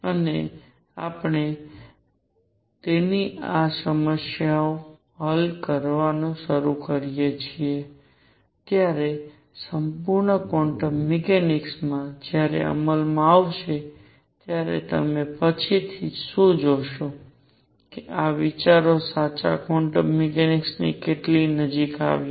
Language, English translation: Gujarati, And what you will see later when the full quantum mechanics comes into being when we start solving problems with that that how close to true quantum mechanics these ideas came